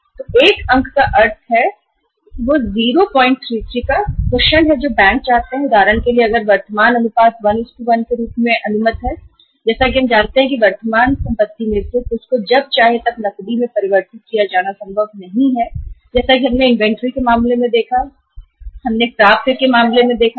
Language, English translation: Hindi, 33 is the cushion which the banks seek that if for example if the ratio is only say current ratio is allowed as 1:1 as we know that some of the current assets are not possible to be converted into cash as and when we want it as we have seen in case of inventory, as we have seen in case of receivables